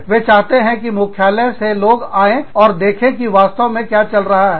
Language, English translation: Hindi, They want people from the headquarters, to come and see, what is really going on